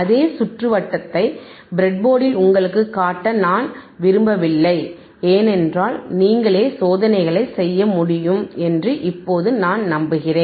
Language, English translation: Tamil, And we I do not want to show you the same circuit on the breadboard or because now I am sure that you are able to perform the experiments by yourself